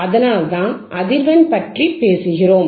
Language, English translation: Tamil, That is why we talk about frequency, frequency, frequency